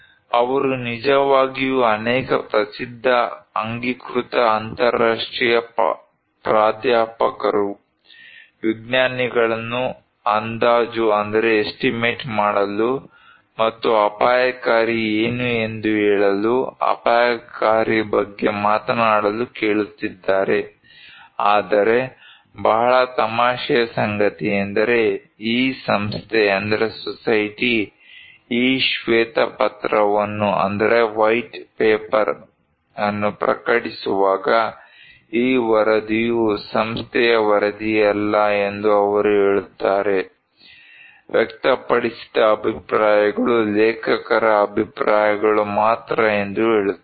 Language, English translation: Kannada, They actually asking many famous acknowledged internationally acclaimed professors, scientists to estimate and tell them what is risky, to talk about a risky but very funny thing is that when these society is publishing this white paper, they are saying then you know disclaimer they are not saying that this report is not a report of the society, the views expressed are those of the authors alone